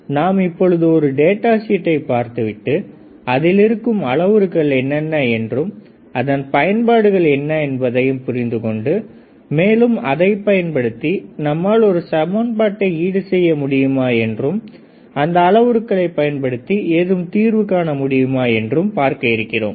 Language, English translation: Tamil, So, I thought of how we go through the data sheet and let us see, how are what are the parameters given and whether we understand those parameter, whether we can solve some equations solve some problems regarding to that particular parameters right